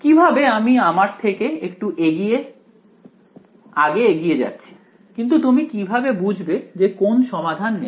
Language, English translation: Bengali, How I am getting a little ahead of myself, but how would you know which solution to take